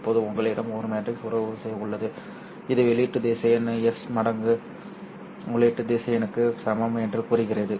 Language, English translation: Tamil, Now you have a matrix relationship which says that output vector is equal to S times input vector